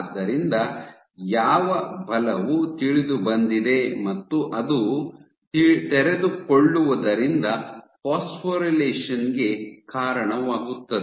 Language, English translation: Kannada, So, what force is known is going to lead to unfolding and this unfolding, so you have unfolding which leads to phosphorylation ok